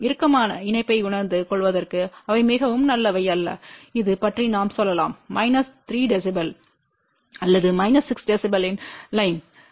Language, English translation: Tamil, They are not very good for realizing tighter coupling which is let us say of the order of minus 3 db or minus 6 db